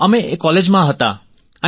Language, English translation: Gujarati, We were still in college